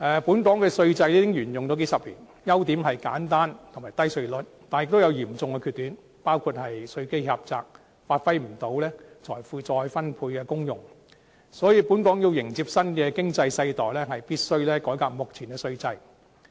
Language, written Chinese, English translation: Cantonese, 本港稅制已沿用數十年，優點是簡單和低稅率，但也有嚴重的缺點，包括稅基狹窄，無法發揮財富再分配的功用，所以本港要迎接新的經濟世代，必須改革目前的稅制。, The Hong Kong tax regime has been operating for several decades . While it has the advantages of being simple and maintaining low tax rates it also has serious setbacks like having a narrow tax base and is unable to exercise the function of wealth redistribution . Therefore when welcoming the new economic era Hong Kong must reform the existing tax regime